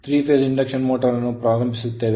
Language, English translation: Kannada, So, so 3 phase induction motor will start